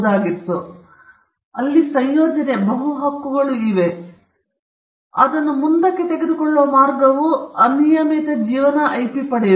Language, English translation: Kannada, So, it is combination, there are multiple rights, you will see that there will be multiple rights, but the way in which they take it forward is to get an unlimited life IP